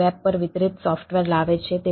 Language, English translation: Gujarati, it is bring software delivered over the web